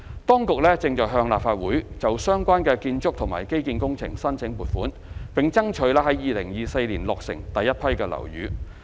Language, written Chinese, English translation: Cantonese, 當局正向立法會就相關的建築及基建工程申請撥款，並爭取在2024年落成第一批樓宇。, Funding approval is being sought from the Legislative Council for the relevant building and infrastructure works with the aim of completing the first batch of buildings in 2024